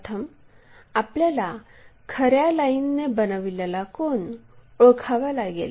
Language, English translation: Marathi, First we have to identify this true line making an angle